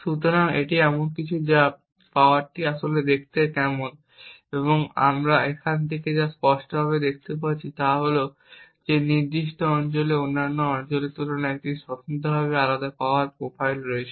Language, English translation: Bengali, So, this is something of what the power actually looks like and what we clearly see from here is that certain regions have a distinctively different power profile compared to other regions